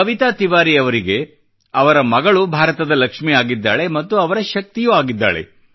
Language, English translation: Kannada, For Kavita Tiwari, her daughter is the Lakshmi of India, her strength